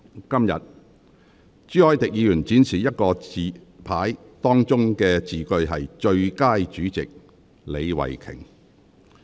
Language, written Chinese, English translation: Cantonese, 今天，朱凱廸議員展示另一個紙牌，當中的字句是"最佳主席李慧琼"。, Today Mr CHU Hoi - dick displayed another placard reading Best Chairman Starry LEE